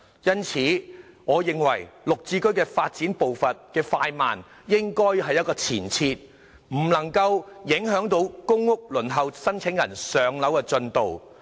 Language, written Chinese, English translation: Cantonese, 因此，我認為"綠置居"發展步伐的快慢應有一個前設，不能夠影響公屋申請人輪候"上樓"的進度。, Therefore I think the prerequisite of GSH development is that it must not affect the progress of housing allocation for waitlisted PRH applicants